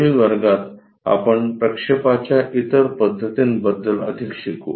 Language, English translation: Marathi, In the next class, we will learn more about other projection methods